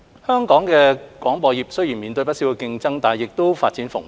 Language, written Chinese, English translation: Cantonese, 香港的廣播業雖然面對不少競爭，但亦發展蓬勃。, Hong Kong has a vibrant broadcasting sector despite keen competition